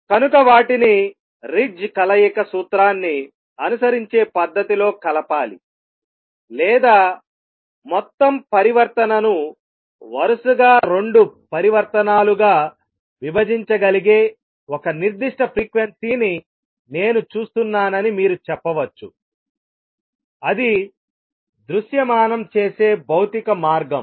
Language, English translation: Telugu, So, they have to be combined in a manner that follows Ritz combination principle or you can say I see one particular frequency where our total transition can be broken into two consecutive transitions that is a physical way of visualizing it